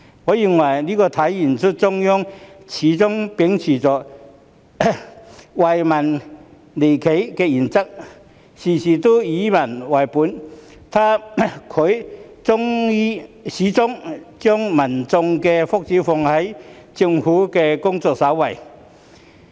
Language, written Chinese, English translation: Cantonese, 我認為這體現中央始終秉持"惠企利民"原則，事事以民為本，始終將民眾的福祉放在政府的工作首位。, I think this manifests that the Central Authorities have always upheld the principle of benefiting enterprises and the people being people - oriented in every aspect and according priority to the peoples well - being in the Governments work all the time